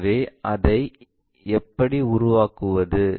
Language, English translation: Tamil, So, how to construct that